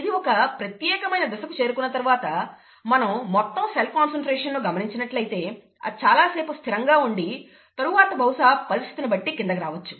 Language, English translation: Telugu, And after it has reached a certain stage, if you are following the total cell concentration, it will probably remain , remain the same for a large period of time and then probably go down depending on the situation